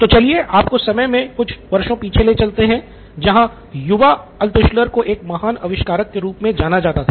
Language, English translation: Hindi, So about roll the clock few years and young Altshuller was known to be a great inventor